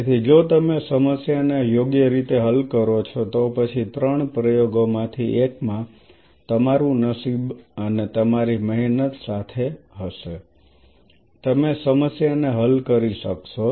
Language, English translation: Gujarati, So, if you break up the problem right then in one of the three experiment of course, your luck has to even your side and your hard work also you will be able to achieve the problem